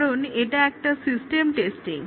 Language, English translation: Bengali, Now, let us look at system testing